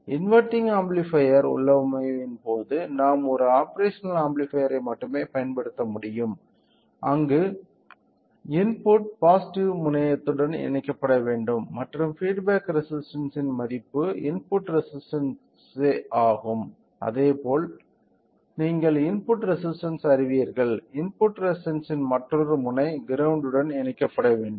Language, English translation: Tamil, So, in case of an non inverting amplifier configuration we can only use one operational amplifier where the input should be connected to the positive terminal and the in what the feedback resistance as well as you know the input resistance, other end of the input resistance should be connected to the ground